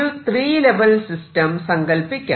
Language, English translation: Malayalam, So, go to a three or four level system